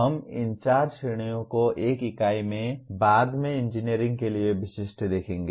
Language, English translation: Hindi, We will look at these four categories specific to engineering in one of the units later